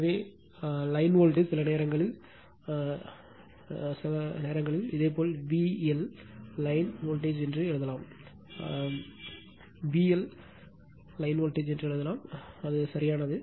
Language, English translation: Tamil, So, line voltages sometimes V L sometimes you call sometimes you write V L line to line voltage some volt they may write V LL line to line voltage it is correct right